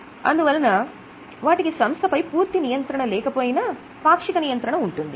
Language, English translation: Telugu, So they are also having though not full control but the partial control